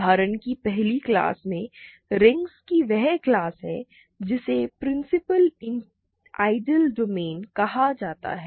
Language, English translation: Hindi, In the first class of examples is class of rings are called Principal Ideal Domains